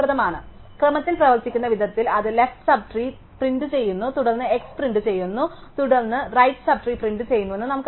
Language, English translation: Malayalam, So, we know that the way that in order works, it prints the left sub tree then it prints x, then it prints right sub tree